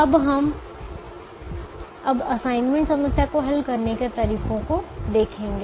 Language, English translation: Hindi, now we will look at ways of solving the assignment problem now